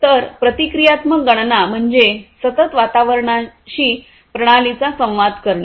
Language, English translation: Marathi, So, reactive computation means interacts interaction of the system with the environment in a continuous fashion